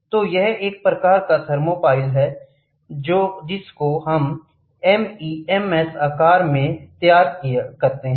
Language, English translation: Hindi, So, this is a typical thermopile which is made from MEMS structure